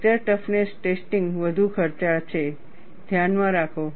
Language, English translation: Gujarati, Fracture toughness testing is more expensive, keep in mind